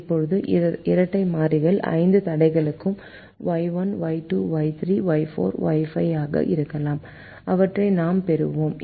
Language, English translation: Tamil, now the dual variables will be y one, y two, y three, y four, y five